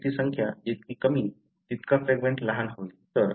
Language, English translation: Marathi, Fewer the number of repeats, the fragment is going to be smaller